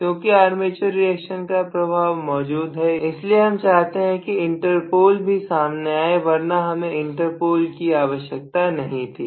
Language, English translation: Hindi, Because the armature reaction effect is perceivable I want the inter pole to come into picture otherwise I do not want the inter pole act at all